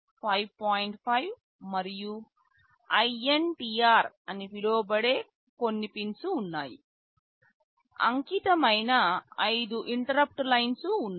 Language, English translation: Telugu, 5 and INTR; there are five interrupt lines which are dedicated